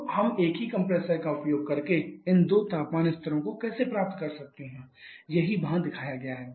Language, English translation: Hindi, So, how can we have these two temperature levels using a single compressor that is what is shown here